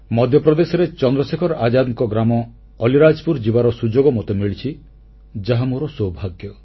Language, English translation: Odia, It was my privilege and good fortune that I had the opportunity of going to Chandrasekhar Azad's native village of Alirajpur in Madhya Pradesh